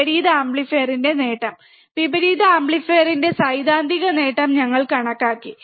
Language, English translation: Malayalam, Gain of the inverting amplifier, we have measured the theoretical gain of inverting amplifier